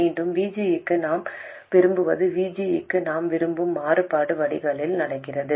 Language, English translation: Tamil, Again, what we desire for VG, the kind of variation we want for VG is happening at the drain